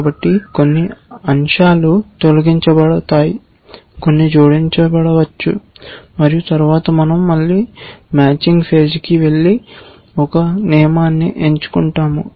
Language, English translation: Telugu, So, some elements are deleted, some may be added and then we go back to matching again and selecting a rule and so